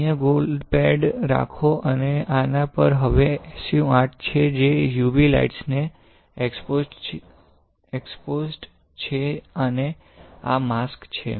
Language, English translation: Gujarati, So, you have a gold pad here and on this now you have SU 8 which is exposed to UV light and this is the mask